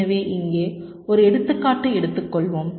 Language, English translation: Tamil, so lets take an example here